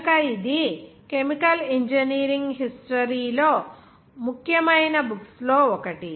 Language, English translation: Telugu, So it was one of the important books in chemical engineering history